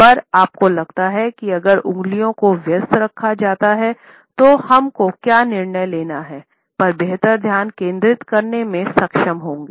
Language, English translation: Hindi, At the same time you would find that, if our fingers are kept busy, we are able to better concentrate on what we have to decide